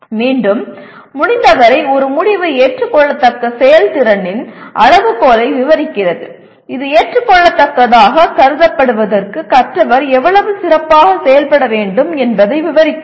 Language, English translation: Tamil, Again, whenever possible an outcome describes the criterion of acceptable performance by describing how well the learner must perform in order to be considered acceptable